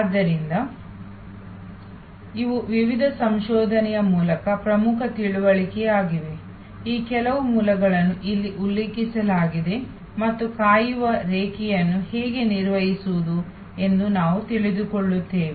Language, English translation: Kannada, So, these are important understanding through various research, some of these sources are mentioned here and we get to know how to manage the waiting line